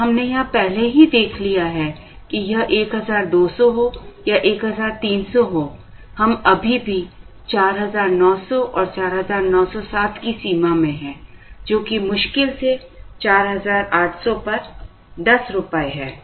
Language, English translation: Hindi, And we have already seen here that, whether it is 1200 or 1300, we are still in the border of 4900 to 4907, which is hardly 10 rupees on 4800 or 5 rupees